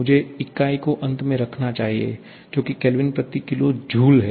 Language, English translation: Hindi, I should put the unit at the end, which is kilo joule per Kelvin